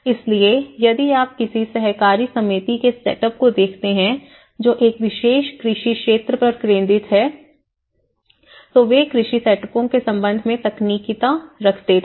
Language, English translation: Hindi, So, if you look at the setup of any cooperative society which is focused on a particular agricultural sector, they were having the technicality with relation to the agricultural setups